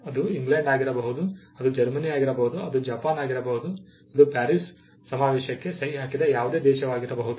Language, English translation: Kannada, It could be England, it could be Germany, it could be Japan, it could be any other country which is a signatory to the Paris convention